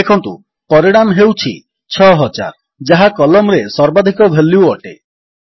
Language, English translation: Odia, Notice, that the result is 6000, which is the maximum value in the column